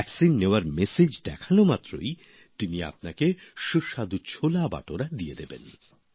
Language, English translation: Bengali, As soon as you show the vaccination message he will give you delicious CholeBhature